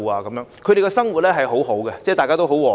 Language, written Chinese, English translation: Cantonese, 居民的生活很好，大家也很和諧。, Residents are leading a desirable life in harmony